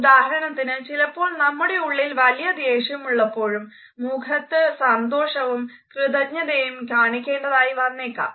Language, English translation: Malayalam, For example, we may feel angry inside, but on the face we want to show our pleasure and appreciation